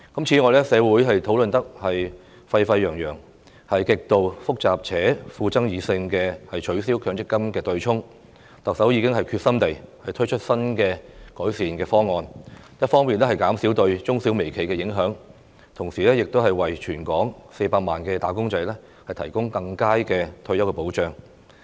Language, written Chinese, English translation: Cantonese, 此外，取消強制性公積金對沖機制極度複雜且富爭議性，社會討論得沸沸揚揚，但特首亦已決心推出新的改善方案，一方面減少對中小微企的影響，同時亦為全港近400萬名"打工仔"提供更佳的退休保障。, Moreover despite the complexity and controversy of the abolition of the Mandatory Provident Fund offsetting mechanism which has generated heated discussions in society the Chief Executive was committed to introducing an improved new proposal in order to minimize its impact on micro small and medium enterprises while providing better retirement protection for nearly 4 million wage earners in Hong Kong